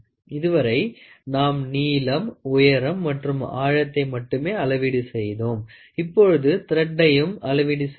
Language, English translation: Tamil, So, till now what we were measuring is only the length, depth, height, but now you see we are also trying to measure the thread